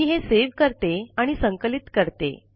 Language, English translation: Marathi, Let me save it first and then compile it